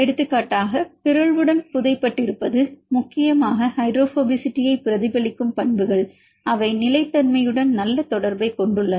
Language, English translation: Tamil, For example, with mutation is the buried mainly the properties reflecting hydrophobicity they have good correlation with the stability